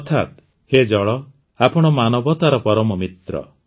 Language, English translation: Odia, Meaning O water, you are the best friend of humanity